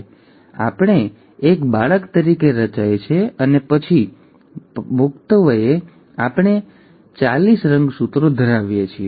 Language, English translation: Gujarati, So then, we are formed as a child and then as an adult, we end up having forty six chromosomes